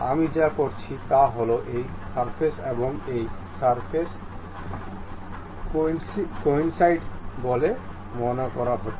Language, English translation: Bengali, What I would like to do is this surface and this surface supposed to be coincident